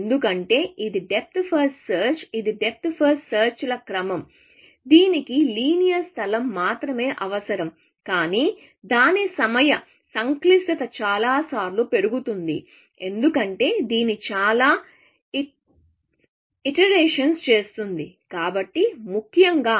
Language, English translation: Telugu, Because it is a depth first search; it is a sequence of depth first searches, which only requires linear space, but its time complexity is going to go up, by many times, because it will do many iterations, essentially